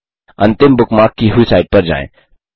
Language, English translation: Hindi, * Go to the last bookmarked site